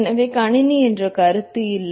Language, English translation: Tamil, So, the concept of computer itself did not exist